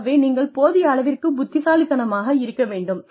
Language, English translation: Tamil, So, you need to be intelligent enough